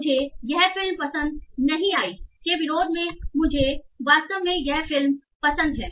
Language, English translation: Hindi, I didn't like this movie versus I really like this movie